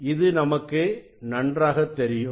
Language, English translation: Tamil, that is well known to all of us